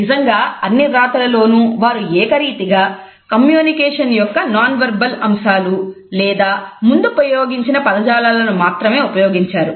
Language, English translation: Telugu, In fact, in all their writings they have used consistently nonverbal aspects of communication or any of the terms which they had used earlier